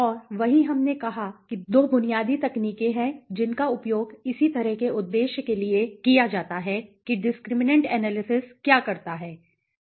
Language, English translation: Hindi, Right and there we said that there are 2 basic techniques which are used for the similar purpose of what discriminant analysis does so what discriminant analysis does